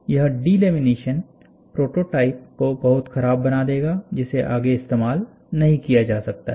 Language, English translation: Hindi, This delamination will make the of the prototype look very poor, and this cannot be used further